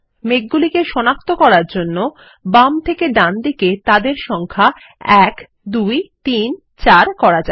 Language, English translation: Bengali, To identify the clouds, lets number them 1, 2, 3, 4, starting from left to right